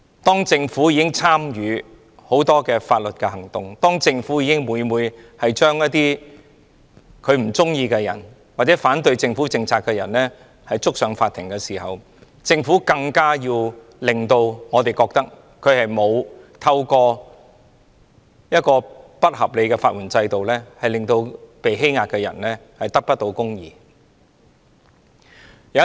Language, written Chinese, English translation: Cantonese, 當政府自己也訴諸很多法律行動，將不喜歡或反對政府政策的人檢控，狀告法庭，政府便更應讓我們覺得它沒有透過不合理的法援制度，令被欺壓的人得不到公義。, If the Government itself frequently resorts to legal actions to press charges against people who dislike or oppose its policies then it should not give us the impression that it has deprived the oppressed of justice through an unreasonable legal aid system